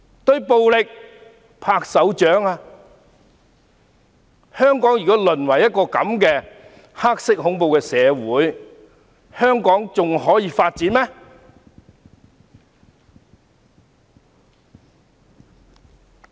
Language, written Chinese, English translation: Cantonese, 如果香港淪為這樣的黑色恐怖社會，還可以發展嗎？, If Hong Kong has degenerated into a society of black terror can it develop any further?